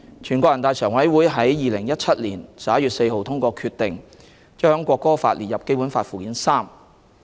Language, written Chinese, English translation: Cantonese, 全國人大常委會在2017年11月4日通過決定，將《國歌法》列入《基本法》附件三。, On 4 November 2017 NPCSC adopted the decision to add the National Anthem Law to Annex III of the Basic Law